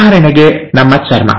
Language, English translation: Kannada, For example our skin